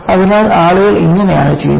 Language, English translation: Malayalam, So, this is how people do it